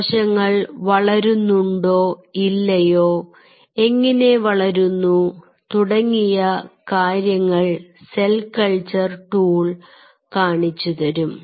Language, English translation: Malayalam, we have the cell culture tools which will tell you the cells are growing or not and how they are growing